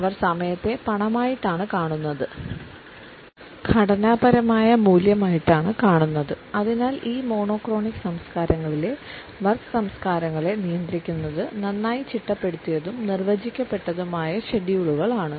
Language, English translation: Malayalam, They look at time as money as value which has to be structured and therefore, their culture and therefore, the work cultures in these monochronic cultures are governed by a well structured and well defined schedules